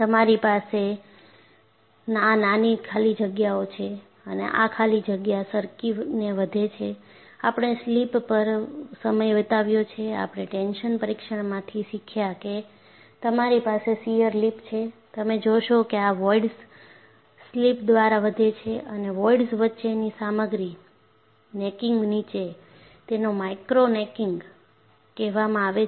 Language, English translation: Gujarati, And what you have is, you have these tiny voids, and these voids grow by slip; that is why, we spent time on slip, we have learned from a tension test that you have shear lip, and you find these voids grow by slip, and the material between the voids, necks down, this is called micro necking